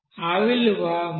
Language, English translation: Telugu, This is 1366